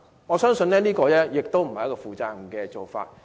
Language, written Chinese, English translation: Cantonese, 我相信這絕非負責任的做法。, I believe that this is by no means a responsible practice